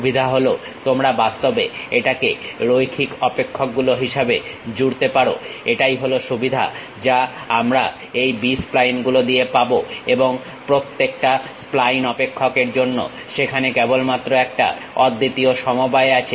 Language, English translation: Bengali, The advantage is you can really add it up as a linear function, that is the advantage what we will get with this B splines, and there is only one unique combination for each spline function